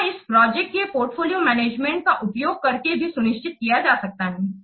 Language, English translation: Hindi, This can be also aimed at this can be also ensured by using this project portfolio management